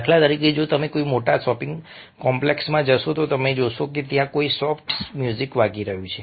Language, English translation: Gujarati, for instance, if you walk into a big shopping complex, you will find that a some music, soft music, is playing over there